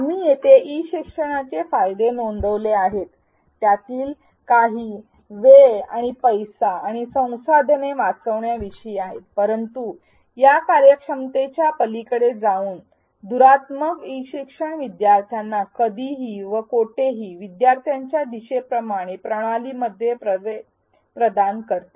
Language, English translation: Marathi, We here reported benefits of e learning some of it is about saving time and money and resources, but going beyond this efficiency metric E learning is also said to provide anytime anywhere access in systems that are easy to navigate by students